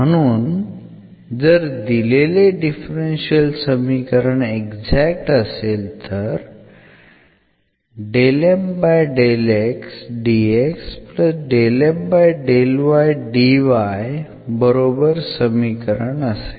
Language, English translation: Marathi, So, the given equation is exact